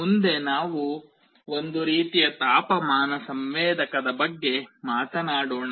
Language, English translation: Kannada, Next let us talk about one kind of temperature sensor